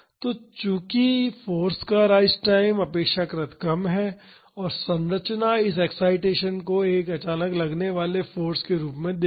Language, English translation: Hindi, So, since the rise time of the force is relatively short and the structure will see this excitation as a suddenly applied force